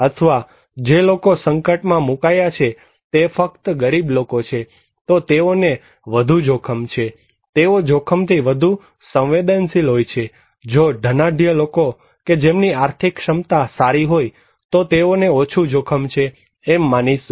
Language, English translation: Gujarati, Or if the people who are exposed they are only poor, they are more at risk, they are more vulnerable and if a rich people who have better economic capacity, we consider to be that they are less risk